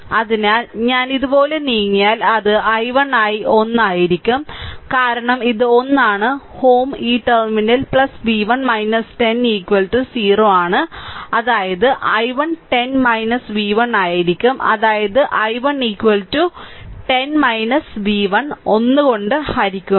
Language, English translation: Malayalam, So, if I [moke/move] move by if I move like this, if I move like this right then it will be i 1 into 1 because this is one ohm then this plus terminal plus v 1 minus 10 is equal to 0; that means, my i 1 will be 10 minus v 1 making it here that ah forget about this thing, that mean my i 1 is equal to 10 minus v 1 divided by 1 right